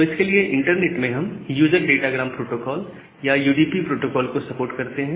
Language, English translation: Hindi, So, for that we support this user datagram protocol or UDP protocol in the internet